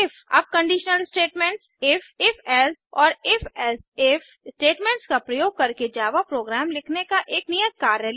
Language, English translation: Hindi, Now take an assignment on writing java programs using conditional statements: if, if...else and if...else if statements